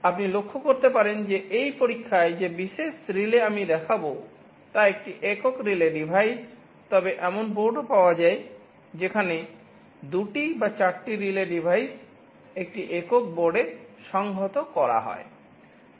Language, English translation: Bengali, You may note that although this particular relay I shall be showing in this experiment has a single relay device, there are boards available where there are 2 or 4 such relay devices integrated in a single board